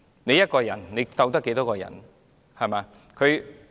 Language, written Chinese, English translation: Cantonese, 畢竟，一個人能對抗多少人呢？, After all how many persons can one stand up to?